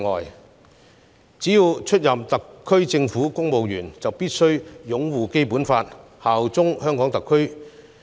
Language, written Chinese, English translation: Cantonese, 因此，凡出任特區政府公務員者，便必須擁護《基本法》，效忠特區政府。, Therefore all those who joined the civil service of the SAR Government must uphold the Basic Law and swear allegiance to the SAR Government